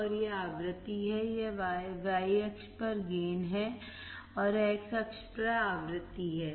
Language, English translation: Hindi, And this is the frequency, this is the gain in y axis is gain and x axis is frequency